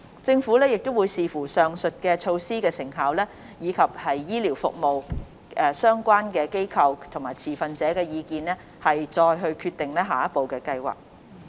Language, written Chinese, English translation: Cantonese, 政府會視乎上述措施的成效，以及醫療服務相關機構和持份者的意見，再決定下一步的計劃。, The Government will consider the effectiveness of the above measures as well as the views of relevant institutions and stakeholders in the health care sector before deciding on the way forward